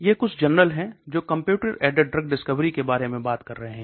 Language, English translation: Hindi, Journals, these are some few journals that are talking about Computer aided drug discovery